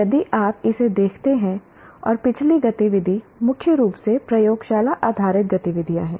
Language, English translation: Hindi, If you look at this one and the previous activity are mainly laboratory based activities